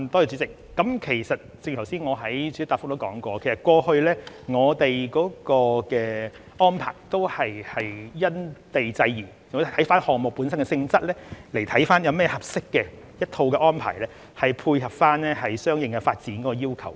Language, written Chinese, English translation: Cantonese, 主席，正如我剛才在主體答覆中提到，我們過去的安排也是因地制宜，視乎項目本身的性質，考慮一套合適的安排，配合相應的發展要求。, President as I said in the main reply earlier on we made arrangements in the past having regard to the respective circumstances and depending on the nature of the project concerned consideration was made in order to come up with a set of suitable arrangements to cater to the demands for development accordingly